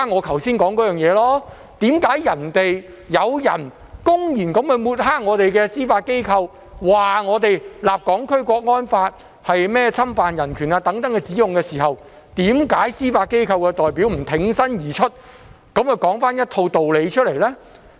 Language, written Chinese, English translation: Cantonese, 為甚麼有人公然抹黑我們的司法機構，指控我們訂立《香港國安法》是侵犯人權時，司法機構代表沒有挺身而出作出澄清呢？, Why did the judiciary not come forward to clarify when someone openly discredited our judiciary and accused us of violating human rights by enacting the Hong Kong National Security Law?